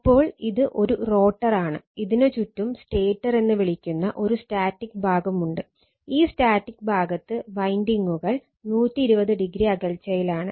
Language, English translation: Malayalam, Now, question is that so this is a rotor, surrounded by a static part called rotor and this static part that winding are placed 120 degree apart right